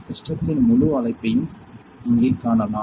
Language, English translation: Tamil, So, you can see the entire structure of the system here